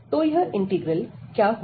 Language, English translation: Hindi, So, what is this integral